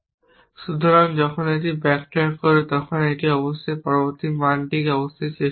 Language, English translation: Bengali, So, when it backtrack it must try the next value essentially then it must try the next value then the next value